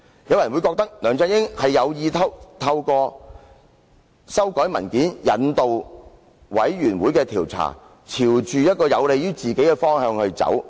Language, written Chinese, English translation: Cantonese, 有人或會認為，梁振英有意透過修改文件，引導專責委員會的調查朝有利於自己的方向走。, It might be argued that LEUNG Chun - ying intended to guide the inquiry of the Select Committee in a direction in his favour by amending the document